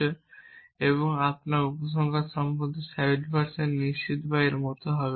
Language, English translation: Bengali, I am 70 percent sure of my conclusion or something like that there is a